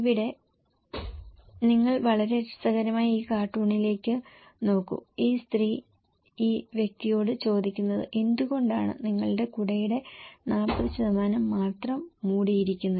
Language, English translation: Malayalam, Like here, you look into this very interesting cartoon is saying this lady is asking this person that why you have only 40% of your umbrella is covered